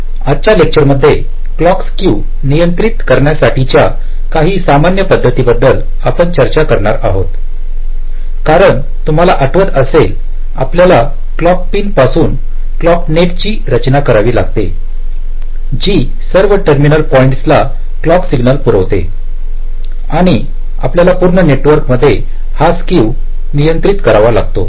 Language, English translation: Marathi, so in this lecture we shall be talking about some general strategies used to control the clock skew, because ultimately our problem, if you recall, we said that from a clock pin we have to layout a clock net which will be feeding the clock signal to all the terminal points and we have to control this skew in this overall network